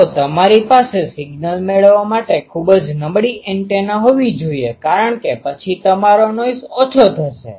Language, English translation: Gujarati, So, you should have a very poor ah antenna to receive the signal because then your noise will be less